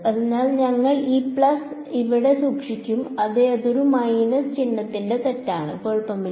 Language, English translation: Malayalam, So, we will keep this plus over here yeah that was a mistake of a minus sign no problem